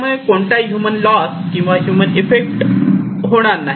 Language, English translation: Marathi, It cannot cause any human loss or human effect